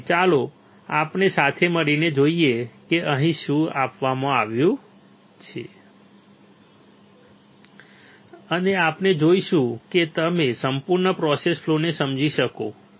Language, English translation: Gujarati, So, let us see together what is given here, and we will see that you will understand the complete process flow